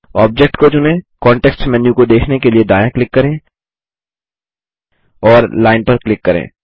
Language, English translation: Hindi, Select the object, right click to view the context menu and click Line